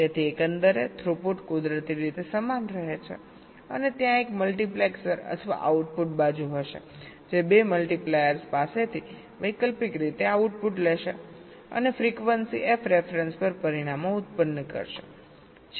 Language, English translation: Gujarati, so overall throughput naturally remains the same and there will be a multiplexor, the output side, that will be taking the output alternately from the two multipliers and will be generating the results at frequency f ref